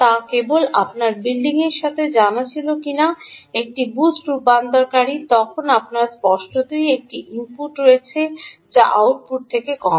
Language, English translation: Bengali, you know, if your building a boost converter, then you obviously have a input which is lower than the output